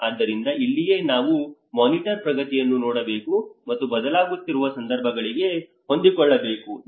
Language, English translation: Kannada, So this is where we need to see the monitor progress and adjust to changing circumstances